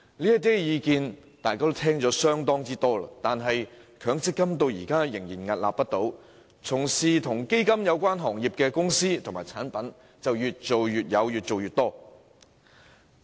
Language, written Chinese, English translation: Cantonese, 這些意見大家都耳熟能詳，但強積金制度至今仍然屹立不倒，從事基金行業的公司長做長有，產品更層出不窮。, Although such views sound familiar the MPF System still survives with fund companies operating long - lasting businesses with the introduction of all sorts of new products